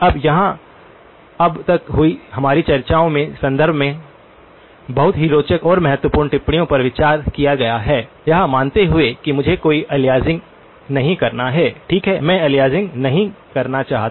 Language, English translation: Hindi, Now, here comes a couple of very interesting and important observations in the context of our discussions so far now, supposing I want to have no aliasing, okay I want to have no aliasing